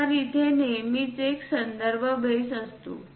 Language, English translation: Marathi, So, that there always be a reference base